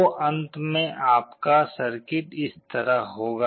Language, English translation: Hindi, So, finally, you will be having a circuit like this